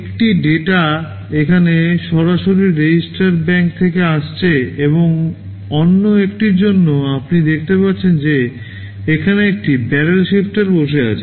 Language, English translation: Bengali, OSo, one of the data is coming directly from the register bank here, and for the other one you see there is a barrel shifter sitting here